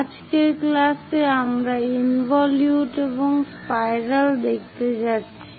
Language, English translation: Bengali, In today's class, we are going to look at involute and spirals